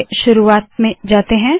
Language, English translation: Hindi, Lets go to the beginning